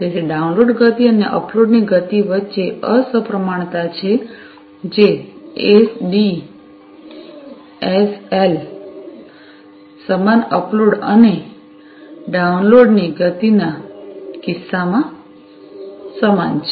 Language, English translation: Gujarati, So, there is an asymmetry between the download speed, and the upload speed, which is equal in the case of SDSL, equal upload and downloads speeds